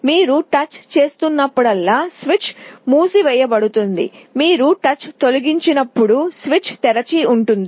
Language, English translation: Telugu, Whenever you make a touch some switch is closed, when you remove the touch the switch is open